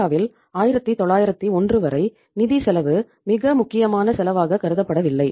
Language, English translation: Tamil, Till 1991 in India the scenario was that financial cost was not considered as a very important cost